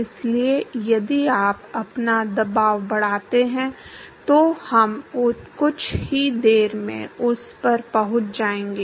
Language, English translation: Hindi, So, if you scale your pressure, we will come to that in in a short while